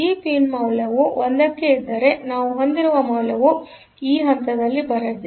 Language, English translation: Kannada, So, if this pin value to 1; so, value that we have here will be coming at this point